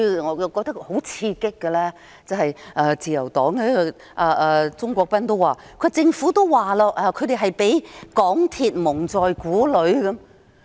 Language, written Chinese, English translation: Cantonese, 我認為最刺激的是自由黨鍾國斌議員表示，政府已說他們被港鐵公司蒙在鼓裏。, What strikes me as most exciting is that Mr CHUNG Kwok - pan of the Liberal Party said the Government had already indicated that it was kept in the dark by MTRCL